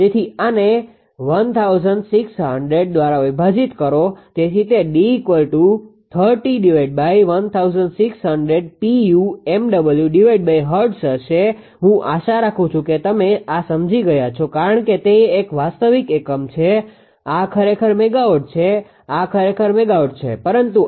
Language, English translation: Gujarati, So, D is equal to 3 by 160 per unit megawatt per hertz; I hope you have understood these because it is a real unit this is actually megawatt this is actually megawatt, but base is 1600